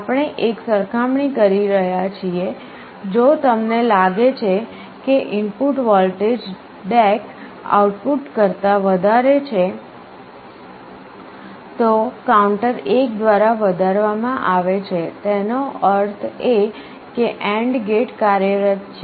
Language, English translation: Gujarati, So, we are making a comparison, if you find that the input voltage is greater than the DAC output then the counter is incremented by 1; that means, the AND gate is enabled